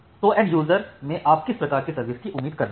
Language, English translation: Hindi, So, what type of quality of service you are expecting from the end user